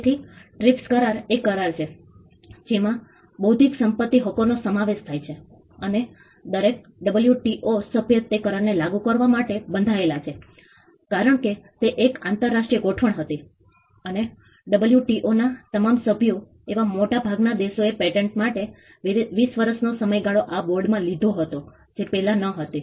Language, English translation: Gujarati, So, the trips agreement is the agreement which covers intellectual property rights and every WTO member is bound to implement that agreement because, it was an international arrangement and most countries who are all members of the WTO have across the board 20 year term for pattern this was not so before